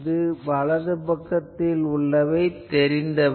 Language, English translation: Tamil, This side right hand side is known